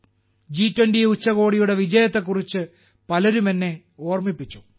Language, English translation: Malayalam, Many people reminded me of the success of the G20 Summit